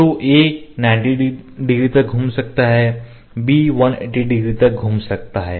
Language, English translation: Hindi, So, ‘a’ can rotate up to 90 degree ‘b’ can rotate up to 180 degree ok